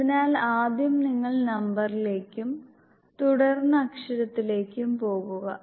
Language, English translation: Malayalam, So first you go to the word number and then letter